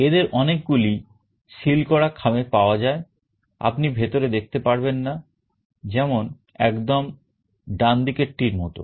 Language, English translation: Bengali, But some of these are also available in a sealed envelope, you cannot see inside, like the the one on the right